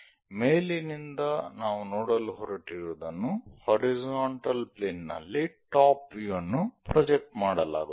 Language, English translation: Kannada, From top whatever we are going to look at that will be projected on to top view, on the horizontal plane